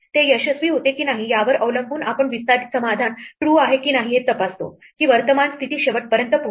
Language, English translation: Marathi, Depending on whether it succeeds or not we check if extend solution is true that is the current position reaches the end